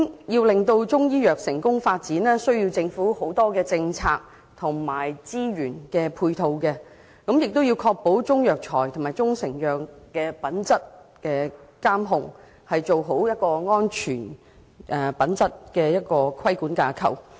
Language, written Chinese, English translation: Cantonese, 要令中醫藥成功發展，需要政府提供很多政策及資源配套，亦要確保中藥材及中成藥的品質監控，做好確保品質安全的規管架構。, The success of Chinese medicine hinges on a number of complementary policies and resources provided by the Government which also needs assurance of the quality control of Chinese herbal medicines and proprietary Chinese medicines . Moreover a proper regulatory framework for quality and safety assurance should also be put in place